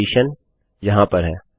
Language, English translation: Hindi, Then a condition in here